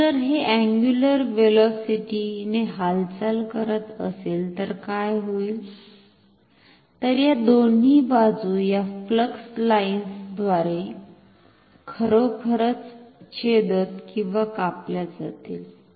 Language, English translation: Marathi, So, if it is moving with this angular velocity, then what will happen then these two sides are actually intersecting or cutting through these flux lines